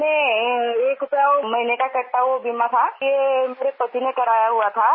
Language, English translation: Hindi, One rupee per month was being deducted towards insurance premium which my husband had subscribed to